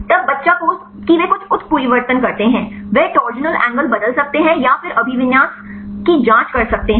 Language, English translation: Hindi, Then the child pose they do some mutations, they can change the torsional angle or then check the orientation